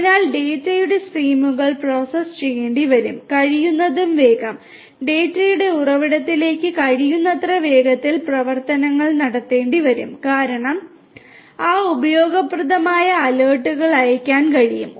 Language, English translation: Malayalam, So, the streams of data will have to be processed and actions will have to be taken immediately as close as possible, as soon as possible and to the source of the data because based on that useful alerts can be sent